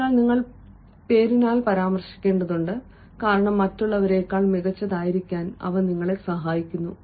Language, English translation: Malayalam, so that has to be mentioned by name ah, because they actually help you have an edge over others